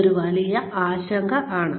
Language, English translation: Malayalam, That is one big concern